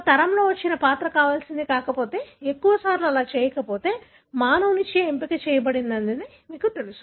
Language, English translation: Telugu, If the character that comes in a generation that are not desirable, more often that are not, you know, selected by the human